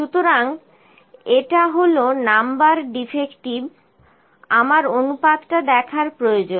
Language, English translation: Bengali, So, this is Number Defective np number defective I need to see the proportion